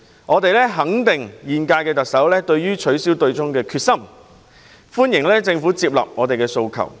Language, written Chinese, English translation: Cantonese, 我們肯定現屆特首取消對沖機制的決心，亦歡迎政府接納我們的訴求。, We approve of the incumbent Chief Executive in her determination to abolish the offsetting mechanism and welcome the Government taking onboard our aspirations